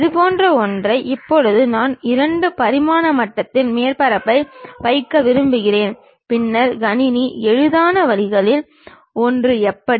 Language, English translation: Tamil, Something like that now I want to really put surface in that at 2 dimension level, then how does computer the one of the easiest ways is